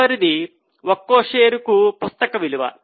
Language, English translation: Telugu, The next one is book value per share